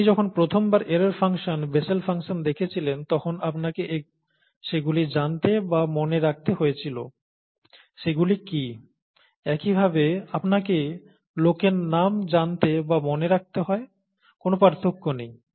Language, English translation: Bengali, But, when, you are exposed to them for the first time, error function, Bessel’s function and so on and so forth, you need to know or remember them, what they are, the same way that you need to know or remember people’s names, okay